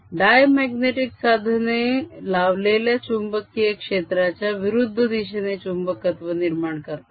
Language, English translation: Marathi, paramagnetic materials develop a magnetization in the direction of applied field